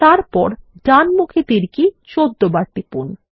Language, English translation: Bengali, Then press the right arrow key about 14 times